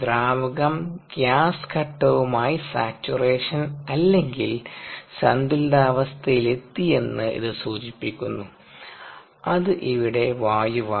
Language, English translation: Malayalam, so this indicates that the liquid has reached saturation or equilibrium condition with the gas phase which is air here